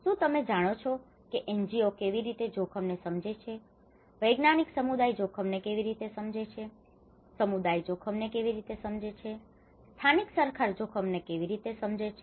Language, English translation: Gujarati, Are you from the, you know how the NGOs perceive the risk, how the scientific community perceives the risk, how the community has perceived the risk, how the local governments perceive the risk